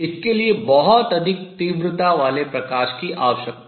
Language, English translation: Hindi, It required very high intensity light